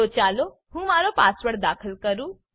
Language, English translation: Gujarati, So let me enter my password